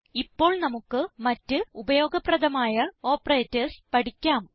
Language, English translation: Malayalam, Now, lets learn about a few other useful operators